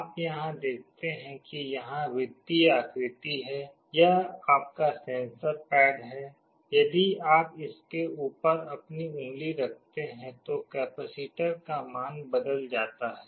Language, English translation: Hindi, You see here there are circular patterns, this is your sensor pad; if you put your finger on top of this circular pattern area, the value of the capacitor changes